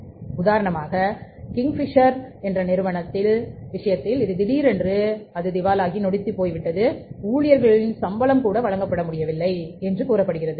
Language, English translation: Tamil, So, for example in case of the Kingfisher Airlines sometime back it happened that suddenly it became bankrupt and even the salaries of the employees were not paid